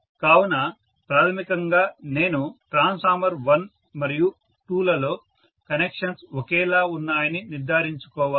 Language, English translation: Telugu, So I have to make sure that basically you know the connections in transformer 1 and 2 are the same